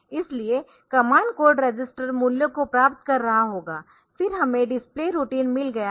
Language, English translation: Hindi, So, command code will be register will be getting the values then we have got the display routine